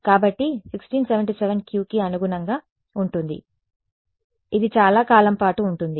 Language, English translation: Telugu, So, 1677 corresponds to the Q which lasts the longest ok